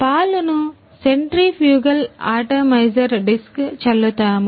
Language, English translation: Telugu, Milk is spraying through the centrifugal atomizer disc